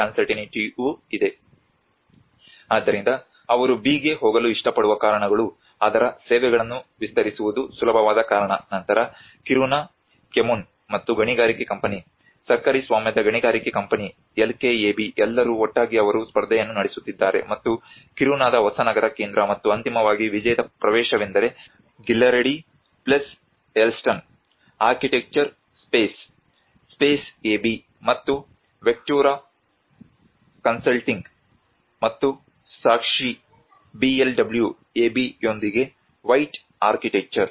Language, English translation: Kannada, So a lot of reasons they prefer to go for the B because it is easy to expand the extend their services part of it then the Kiruna Kommun and the mining company the state owned mining company LKAB all together they have actually floated a competition and for the new city centre for Kiruna and finally the winning entry is the ‘white architecture’ with Ghillaradi + Hellsten architecture Space Space AB and Vectura consulting and evidence BLW AB